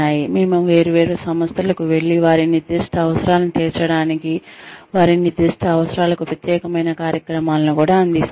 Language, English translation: Telugu, We also go to different organizations, and deliver specialized programs, for their specific needs, to cater to their specific needs